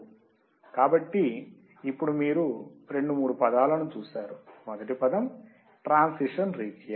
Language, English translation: Telugu, So, now you have seen two three words, first word is transition region